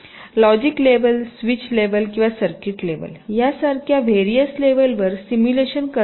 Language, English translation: Marathi, simulation can be carried out at various levels, like logic levels, switch level or circuit level